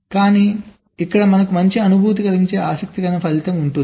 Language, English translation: Telugu, but there is an interesting result which can make us feel good